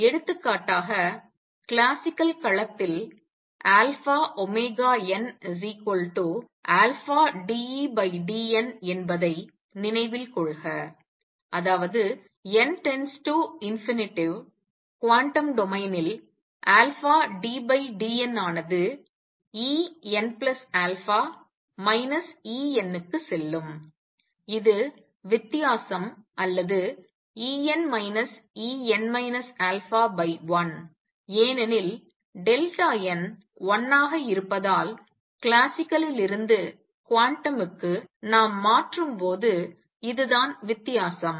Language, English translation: Tamil, So, for example, recall that omega alpha omega n was equal to alpha d by d n e in classical domain; that means, n tending to infinity in quantum domain alpha d by d n will go over to E n plus alpha minus E n that is the difference or E n minus E n minus alpha divided by 1 because the delta n is 1, this is the difference when we make a transition from classical to quantum